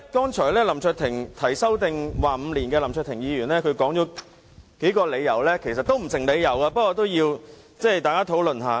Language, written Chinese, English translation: Cantonese, 提出將有效期延至5年的林卓廷議員，剛才舉出數個理由，其實全部都不成立，我想與大家討論一下。, Mr LAM Cheuk - ting who proposed to extend the validity period to five years has listed a few reasons just now . In fact they are all unfounded . I would like to discuss with you briefly